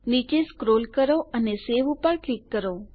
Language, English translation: Gujarati, Let us scroll down and lets click on SAVE